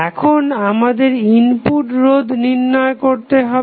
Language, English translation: Bengali, Now, again, we have to find the input resistance